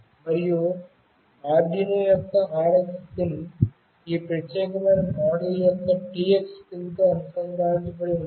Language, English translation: Telugu, And the RX pin of Arduino must be connected with the TX pin of this particular model